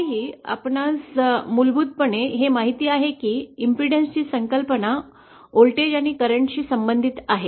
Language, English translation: Marathi, Yet we inherently know that, impedance, the concept of impedance is related to voltage and current